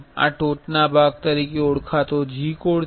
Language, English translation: Gujarati, This the top part called G code